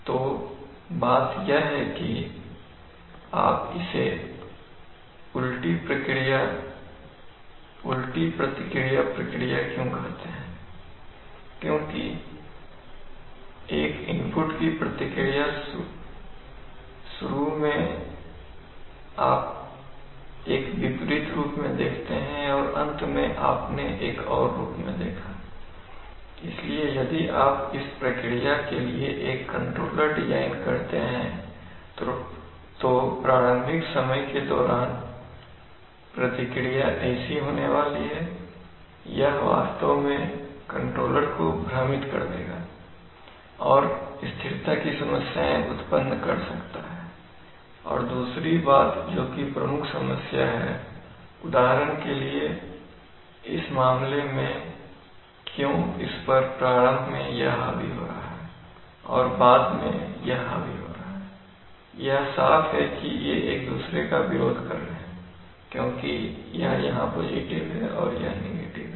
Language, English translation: Hindi, So the thing is that, you, why it is called an inverse response process because the response to an input initially you see in an opposite fashion and finally you seen a in another fashion, so if you design a controller for this process then for the initial time scales this is going to be the response of this will actually confuse the controller, this is and might cause in stability and other thing this is the main problem, for example in this case why is the, why is it supposed to be dominated by this initially and dominated by this later on, opposing things are is clear because it there is plus and there is a minus